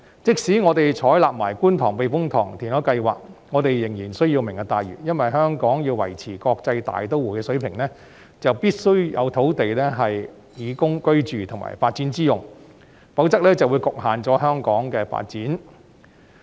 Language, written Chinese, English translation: Cantonese, 即使我們採納觀塘避風塘填海計劃，我們仍需要"明日大嶼"，因為香港要維持國際大都會的地位，便必須要有土地供居住及發展之用，否則香港的發展便受到局限。, Even if the Kwun Tong Typhoon Shelter reclamation project is adopted we still need the Lantau Tomorrow Vision because if Hong Kong is to maintain its position as an international metropolis there must be land for housing and development otherwise Hong Kongs development will be constrained